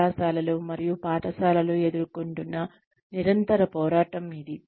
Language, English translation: Telugu, This is the constant struggle, that colleges and schools face